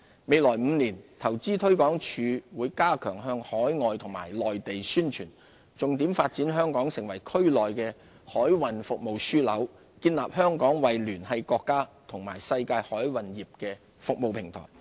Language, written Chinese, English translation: Cantonese, 未來5年，投資推廣署會加強向海外及內地宣傳，重點發展香港成為區內的海運服務樞紐，建立香港為聯繫國家與世界海運業的服務平台。, In the next five years Invest Hong Kong will strengthen its promotional activities overseas and in the Mainland focusing on the development of Hong Kong into a maritime services hub in the region as well as a platform connecting the Mainland with the maritime industry in other parts of the world